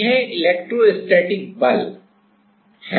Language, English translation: Hindi, This is the electrostatic force right